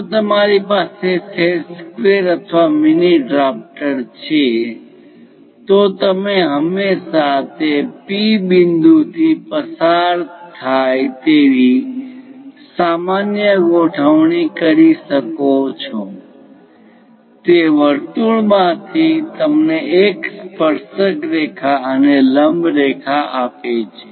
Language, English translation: Gujarati, If you have a set squares or mini drafter you can always align normal to that passing through that P point gives you a tangent and this is normal through that circle, this is the way we construct it